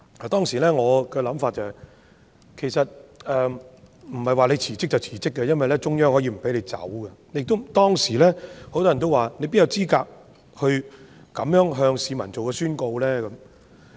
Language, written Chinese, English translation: Cantonese, 當時我的想法是，其實不是她說辭職便辭職，因為中央可以不批准，當時亦有很多人說，她哪有資格這樣向市民宣告呢？, At that time I thought it was not her who has the say over a resignation as the Central Peoples Government CPG could disapprove of it . Back then many people also queried whether she was in a position to make such a declaration to the public